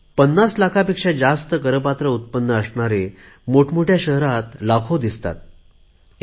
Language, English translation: Marathi, People having a taxable income of more than 50 lakh rupees can be seen in big cities in large numbers